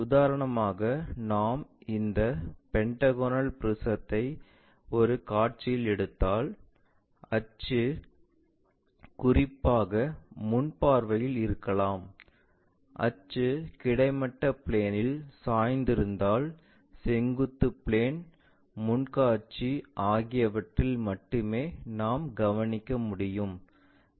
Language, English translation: Tamil, For example, if we are picking these pentagonal prism in one of the view, may be the axis especially in the front view because axis is inclined to horizontal plane that we can observe only in the vertical plane, front view